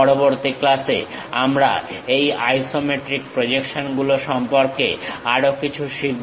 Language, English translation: Bengali, In the next class, we will learn more about these isometric projections